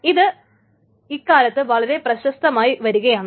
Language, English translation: Malayalam, So these are nowadays becoming very, very popular